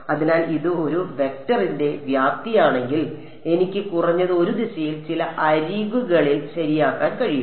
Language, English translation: Malayalam, So, if it is the magnitude of this vector I am at least able to impose a direction along some edge ok